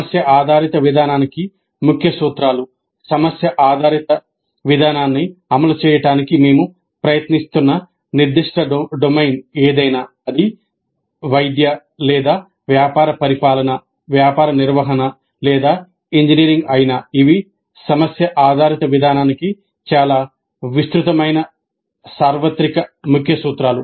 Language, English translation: Telugu, Whatever be the specific domain in which we are trying to implement the problem based approach, whether it is medical or business administration, business management or engineering, these are very broad universal key principles for problem based approach